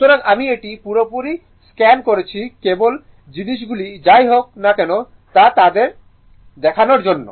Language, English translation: Bengali, So, I have totally scanned it for you just just to see that things are ok or not right anyway